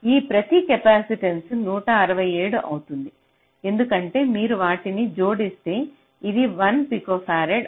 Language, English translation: Telugu, so each of this capacitance will be one, sixty seven, because if you add them up it will be one, p, f